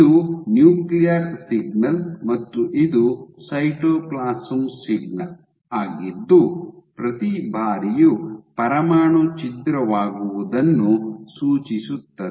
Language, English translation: Kannada, So, this is your nuclear signal and this is the cytoplasm signal suggesting that this every time there is a nuclear rupture